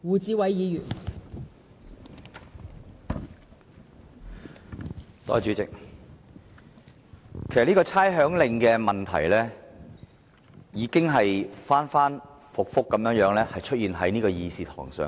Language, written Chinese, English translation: Cantonese, 代理主席，有關《2018年差餉令》的問題已經反覆在立法會的議事堂討論。, Deputy President issues relating to the Rating Exemption Order 2018 the Order has been discussed time and again in the Chamber of the Legislative Council